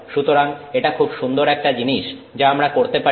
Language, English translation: Bengali, So, that's a nice thing that we can do